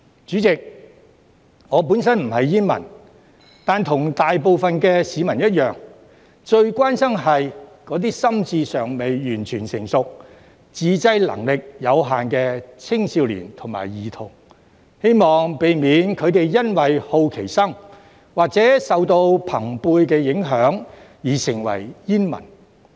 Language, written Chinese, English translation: Cantonese, 主席，我本身不是煙民，但與大部分市民一樣，最關心的是那些心智尚未完全成熟、自制能力有限的青少年及兒童，希望避免他們因為好奇心或受到朋輩影響而成為煙民。, President I am not a smoker . But same as most people I am most concerned about adolescents and children who are not completely mature mentally and have limited self - control . And I hope to prevent them from becoming smokers out of curiosity or as a result of peer influence